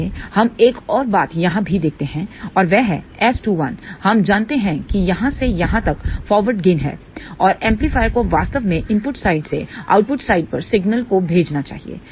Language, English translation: Hindi, Let us look at another thing also here and that is S 2 1, we know is a forward gain from here to here and amplifier should actually send the signal from the input side to the output side